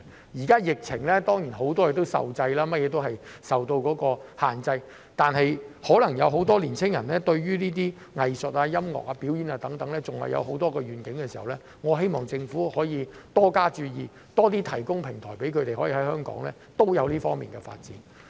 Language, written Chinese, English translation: Cantonese, 現時在疫情下，很多事情當然有所限制，但如果很多青年人可能對藝術、音樂、表演等還有很多憧憬時，我希望政府可以多加注意，多提供平台讓他們在香港也有這方面的發展。, Of course there are now restrictions on many fronts under the epidemic but if many young people may still have a lot of aspirations for arts music performances and so on I hope that the Government can pay more attention to this and provide more platforms for them to pursue development in these fields in Hong Kong